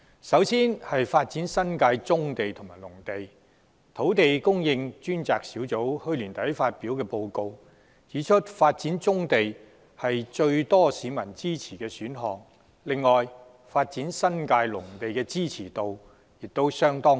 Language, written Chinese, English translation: Cantonese, 首先，就發展新界棕地和農地方面，土地供應專責小組去年年底發表報告，指出發展棕地是最多市民支持的選項；此外，發展新界農地的支持度亦相當高。, As a start in respect of developing brownfield sites and agricultural lands the Task Force on Land Supply has pointed out in its report published at the end of last year that developing brownfield sites was the option with the greatest support among the public . The option of developing agricultural lands in the New Territories has also gained a fairly high level of support meanwhile